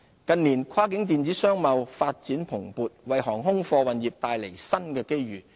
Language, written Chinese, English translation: Cantonese, 近年，跨境電子商貿發展蓬勃，為航空貨運業帶來新的機遇。, The strong growth of cross - boundary e - commerce in recent years has generated new opportunities for the air cargo industry